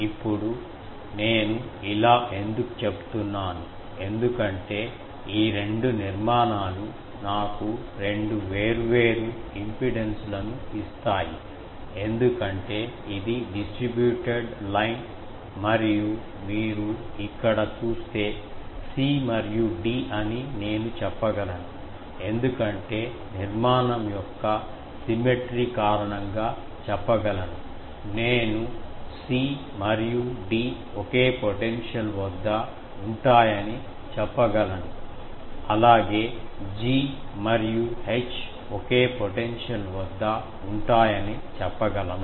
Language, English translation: Telugu, Now, why I am saying this because these two structures will give me two different impedances because this is a distributed line and here you see that I can say that c and d because of the symmetry of the structure, can I say c and d are at same potential also g and h are the same potential